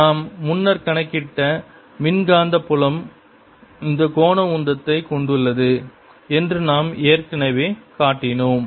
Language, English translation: Tamil, we have already shown that the electromagnetic field carries this angular momentum which we calculated earlier